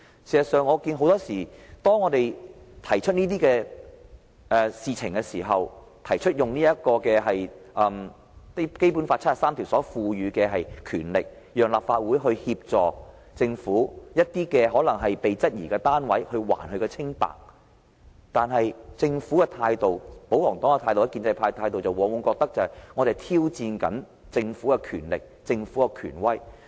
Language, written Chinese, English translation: Cantonese, 事實上，我看到很多時候，當我們提出這些事情，提出根據《基本法》第七十三條賦予我們的權力，讓立法會提供機會還政府一個清白時，政府、保皇黨和建制派的態度，往往認為我們在挑戰政府的權力和權威。, As a matter of fact every time we raise these issues for discussion or when we invoke the power conferred to us by Article 73 of the Basic Law and let the Legislative Council offer the Government a chance to clear its name the Government the royalists and the pro - establishment camp will more often than not consider us challenging the power and authority of the Government